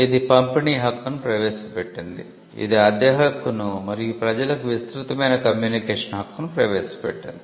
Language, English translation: Telugu, It introduced the right of distribution; it introduced the right of rental and a broader right of communication to the public